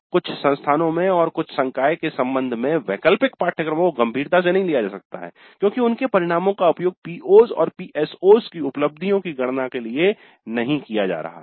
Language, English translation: Hindi, Not always but in some cases in some institutes and with respect to some faculty the elective courses may not be treated seriously because their outcomes are not being used to compute the attainments of the POs and PSOs